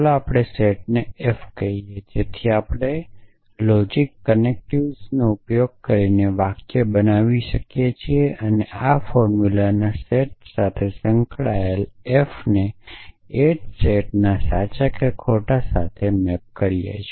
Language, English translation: Gujarati, Let us call set f, so we could construct compound sentences from the atomic using the logic connectives and associated with this set of formulas is a function with maps f to the same set true or false